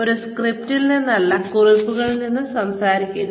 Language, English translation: Malayalam, Talk from notes, rather than from a script